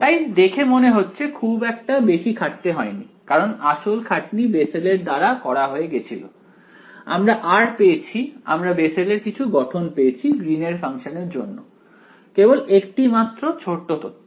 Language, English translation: Bengali, So, it seems that without too much effort because, the effort was done by Bessel, we have got r we have got some form for the Bessel’s for the Green’s function, just one small piece of information